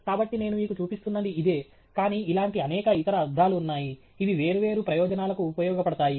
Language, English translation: Telugu, So, this was the one that I was showing you, but there are several other versions which are similar, which may serve different purposes